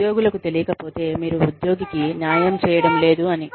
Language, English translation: Telugu, If the employees, do not know, then you are not being fair to the employee